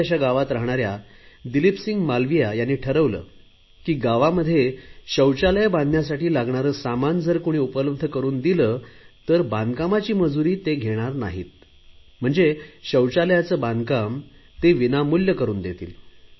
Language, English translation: Marathi, Hailing from a small village, Dileep Singh Malviya decided that if anyone provides materials for toilet in the village, he will render his labour services free of cost